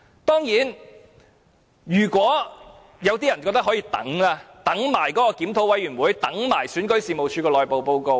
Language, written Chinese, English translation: Cantonese, 當然，有些人覺得可以等，等檢討委員會、等選舉事務處的內部報告。, Of course some people think that we can wait . They think that we can wait for the review committee and the internal report of REO